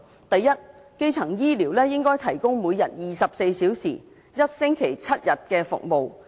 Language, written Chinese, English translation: Cantonese, 第一，基層醫療應該提供每天24小時、一星期7天的服務。, First primary care should be accessible 24 hours a day seven days a week